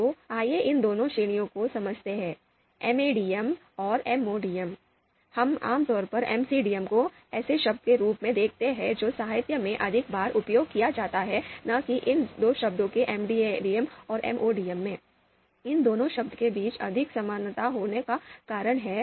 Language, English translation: Hindi, So, we typically typically we see MCDM as the term which is more often used in the literature and not these two terms MADM and MODM, reason being there are more similarities between these two terms